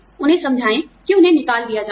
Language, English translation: Hindi, Convince them that, they had to be terminated